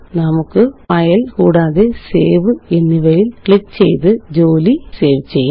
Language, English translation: Malayalam, Let us save our work now by clicking on File and Save